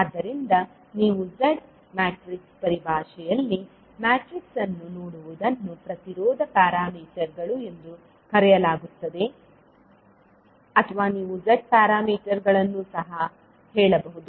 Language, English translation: Kannada, So, what you see the matrix in terms of Z is called impedance parameters or you can also say the Z parameters